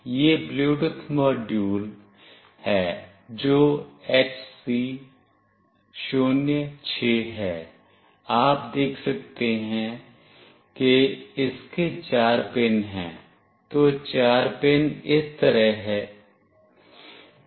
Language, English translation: Hindi, This is the Bluetooth module that is HC 06, you can see it has got four pins, so the four pins goes like this